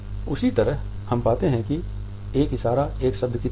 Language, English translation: Hindi, In the same way we find a gesture is like a single word